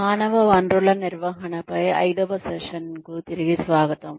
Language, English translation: Telugu, Welcome back, to the Fifth Session, on Human Resources Management